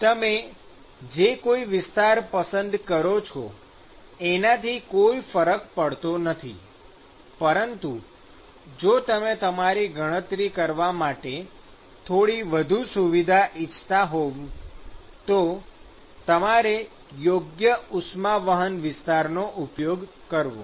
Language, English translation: Gujarati, It does not matter whichever area you choose, but if you want to have things to be little bit more convenient to do your calculations, then you define your heat transport area based on that